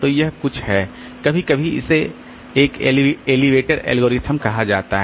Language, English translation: Hindi, So, this is some sometimes it is called an elevator algorithm